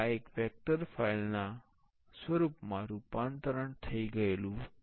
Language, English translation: Gujarati, Now, this one also converted to a vector file